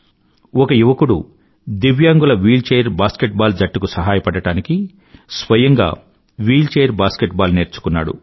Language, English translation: Telugu, One young person learned to play wheelchair basket ball in order to be able to help the wheelchair basket ball team of differently abled, divyang players